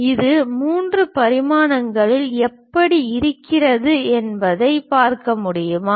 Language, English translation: Tamil, Can you take a look at it how it might be in three dimension, ok